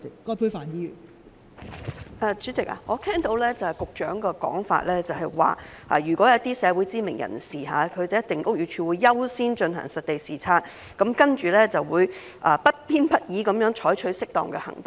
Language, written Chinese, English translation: Cantonese, 代理主席，我聽到局長的說法，就是如果是一些社會知名人士，屋宇署會優先進行實地視察，然後會不偏不倚地採取適當的行動。, Deputy President as I have heard from the Secretary BD will prioritize site inspections on suspected UBWs whose owners are community celebrities and it will then take appropriate actions impartially